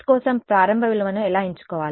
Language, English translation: Telugu, How do we choose an initial value for x